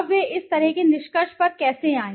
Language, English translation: Hindi, Now how did they come to such a conclusion